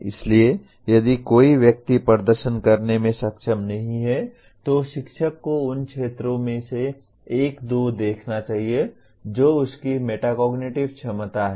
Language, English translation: Hindi, So if somebody is not able to perform, one of the areas the teacher should look at is his metacognitive ability